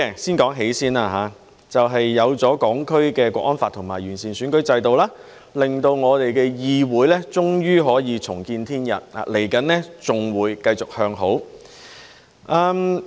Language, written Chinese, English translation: Cantonese, 先說"喜"，就是有了《香港國安法》及完善了選舉制度，令我們的議會終於可以重見天日，往後還會繼續向好。, Let me talk about the joy first . The joy comes from the enactment of National Security Law for HKSAR and the improvement of the electoral system which have made it possible for our legislature to at last see the light at the end of the tunnel and even fare better in future